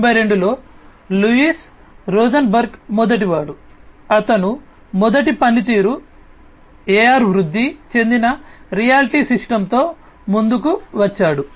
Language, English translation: Telugu, In 1992, Louise Rosenberg was the first, you know, he came up with the first functioning AR augmented reality system